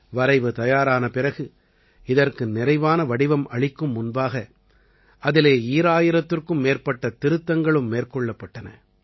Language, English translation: Tamil, After readying the Draft, before the final structure shaped up, over 2000 Amendments were re incorporated in it